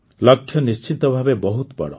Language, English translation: Odia, The goal is certainly a lofty one